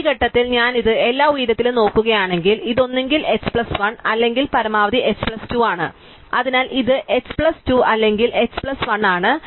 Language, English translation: Malayalam, So, this means that if I look at this over all height at this point, it is either h plus 1 or at most h plus 2, so this is h plus 2 or h plus 1